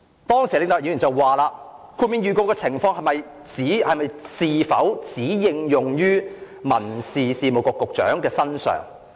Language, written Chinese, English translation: Cantonese, 當時李永達先生問："豁免預告的情況是否只應用於民政事務局局長的身上？, At the time Mr LEE Wing - tat asked if the dispensation of notice was only applicable to the Secretary for Home Affairs